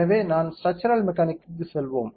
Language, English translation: Tamil, So, let us go to structural mechanics